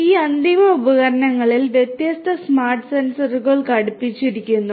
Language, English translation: Malayalam, These end devices are fitted with different smart sensors